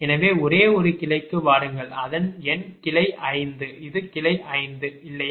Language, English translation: Tamil, only one branch is there, is number is branch five